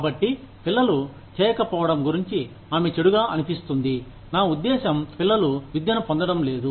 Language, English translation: Telugu, So, she will feel bad, about the children, not doing the, I mean, children not getting the education